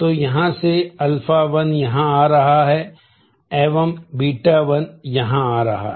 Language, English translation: Hindi, So, here alpha 1 is coming here beta 1 is coming here